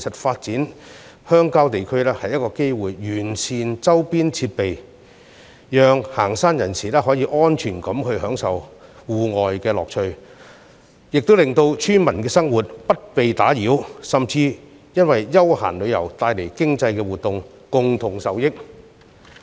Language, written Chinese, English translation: Cantonese, 發展鄉郊地區其實也是完善周邊設施的機會，既可讓遠足人士安全地享受戶外樂趣，也可令村民生活不受騷擾，甚至因休閒旅遊帶來的經濟活動而共同受益。, Developing rural areas can in fact provide us with an opportunity to improve the surrounding facilities so that hikers may enjoy the pleasure brought about by outdoor activities safely without causing nuisance to the lives of villagers who may even benefit from the economic activities of leisure tourism